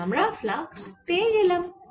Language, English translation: Bengali, so we have got the flux